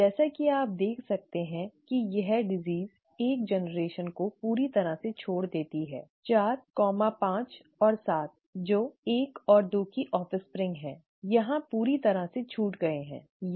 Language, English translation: Hindi, As you can see this disease misses a generation completely; 4, 5 and 7 who are offspring of 1 and 2, is completely missed here, okay